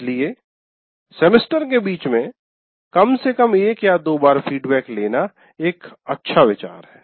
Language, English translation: Hindi, So it is a good idea to have at least once or twice feedback in the middle of the semester